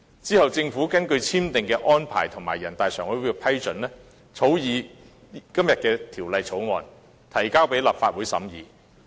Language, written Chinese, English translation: Cantonese, 其後，政府根據兩地簽訂的《合作安排》和人大常委會的決定，草擬今天辯論的《條例草案》，並提交立法會審議。, Subsequently the Government drafted the Bill according to the Co - operation Arrangement signed by the two sides and the NPCSC decision and introduced the Bill into the Legislative Council for deliberation